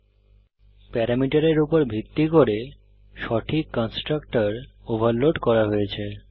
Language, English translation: Bengali, Based upon the parameters specified the proper constructor is overloaded